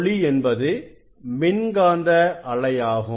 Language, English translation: Tamil, light is an electromagnetic wave